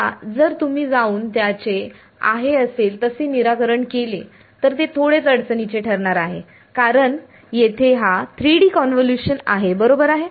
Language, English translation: Marathi, Now, if you were to go and solve this as it is, its going to be little problematic because this is a 3D convolution over here right